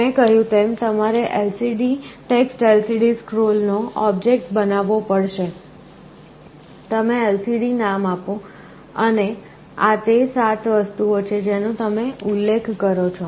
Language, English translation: Gujarati, As I told, you have to create an object of type TextLCDScroll, you give a name lcd, and these are the 7 things you specify